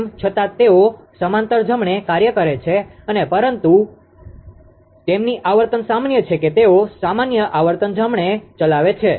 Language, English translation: Gujarati, Although they operating in parallel right and but their frequency is common that is f c they operate at a common frequency right